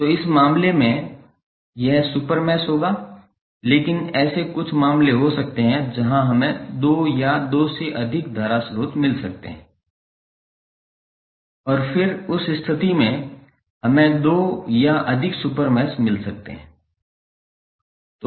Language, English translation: Hindi, So, in this case this would be the super mesh but there might be few cases where we may get two or more current sources and then in that case we may get two or more super meshes